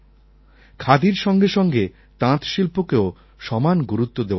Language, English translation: Bengali, Along with Khadi, handloom must also be given equal importance